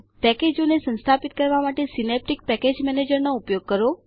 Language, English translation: Gujarati, Use Synaptic Package Manager to install packages